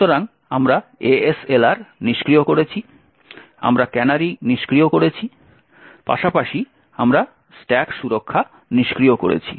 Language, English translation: Bengali, So we have disabled ASLR, we have disabled canaries, as well as we have disabled the stack protection